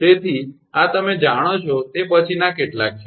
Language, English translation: Gujarati, So, these are the some after you know